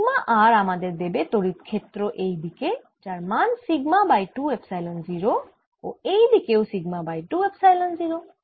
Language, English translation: Bengali, now sigma r, as i said earlier, gives me a field: sigma over two epsilon zero going to the right and sigma over two epsilon zero going to the left